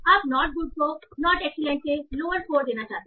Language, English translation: Hindi, You want to give a lower score to not good than not excellent